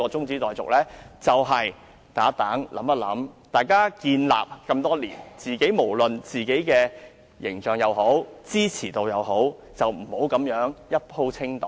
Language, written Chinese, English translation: Cantonese, 議員努力經營多年，無論是自己的形象還是支持度，不應這樣"一鋪清袋"。, Having working so hard for many years the image or popularity of Members should not be shattered in one go like this